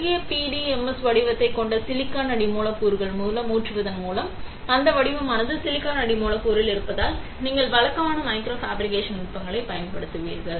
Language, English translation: Tamil, By pouring molten PDMS on to a silicon substrate that has the pattern, because the pattern is on a silicon substrate and you will use conventional micro fabrication techniques